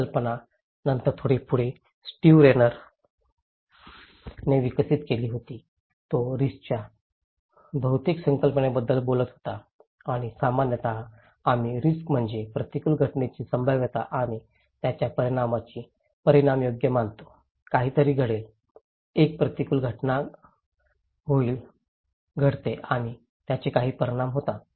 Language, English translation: Marathi, This idea was then little further developed by Steve Rayner, he was talking about polythetic concept of risk and that in generally, we consider risk is the probability of an adverse event and the magnitude of his consequence right, something will happen, an adverse event will happen and it has some consequences